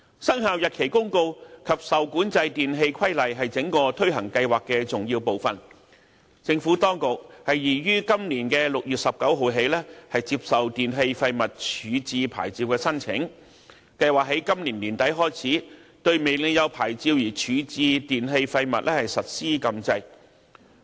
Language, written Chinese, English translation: Cantonese, 《生效日期公告》及《受管制電器規例》是整個推行計劃的重要部分，政府當局擬於今年6月19日起接受電器廢物處置牌照的申請，並計劃在今年年底開始，對未領有牌照而處置電器廢物實施禁制。, Both the Commencement Notice and the REE Regulation are the essential parts of the entire scheme to be implemented . The Administration intends to accept applications for waste disposal licences in respect of e - waste from 19 June this year with a view to commencing the prohibition against disposal of e - waste without a licence tentatively by the end of this year